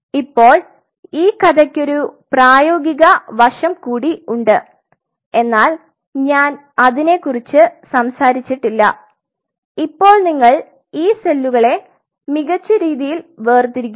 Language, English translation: Malayalam, Now there is a practical side of the story which I have not talked about now we have separated the cells great